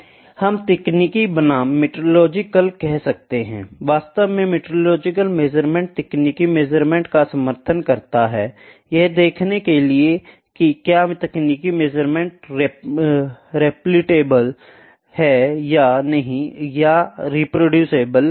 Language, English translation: Hindi, We can say technical versus metrological; actually metrological measurement supports the technical measurement, it is the see that if or the technical measurements repeatable or not reproducible or not